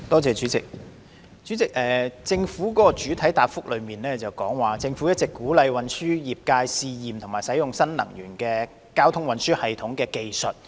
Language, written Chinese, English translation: Cantonese, 主席，局長的主體答覆提及，政府一直鼓勵運輸業界試驗及使用新能源運輸技術。, President the Secretarys main reply says that the Government has been encouraging the transportation industry to test and use new energy transportation technologies